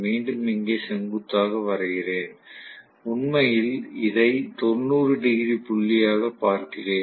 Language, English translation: Tamil, Let me again draw perpendicular here and I am looking at actually this as, you know the 90 degree point